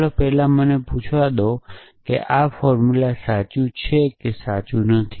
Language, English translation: Gujarati, So, first let us let me ask is this formula true or not true